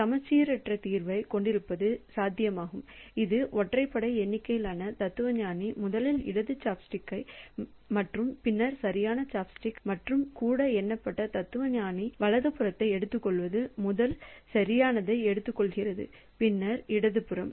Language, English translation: Tamil, So, this is an odd number of fellow odd numbered philosopher picks up first the left chopstick and then the right chopstick and the even numbered philosopher picks up the right picks up the first the right one and then the left one